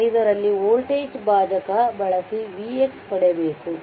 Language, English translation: Kannada, 5 we use the voltage division to get v x right